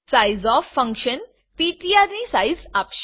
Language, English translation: Gujarati, Sizeof function will give the size of ptr